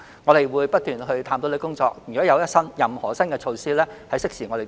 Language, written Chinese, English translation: Cantonese, 我們會不斷探討，如有任何新措施，將會適時公布。, We will continue to conduct studies and will announce new initiatives in a timely manner